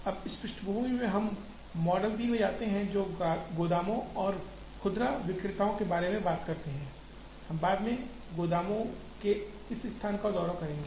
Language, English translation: Hindi, Now, with this background we move to model 3, which talks about warehouses and retailers, we will visit this location of warehouses later